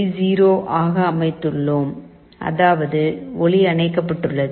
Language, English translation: Tamil, 0, which means the light is switched OFF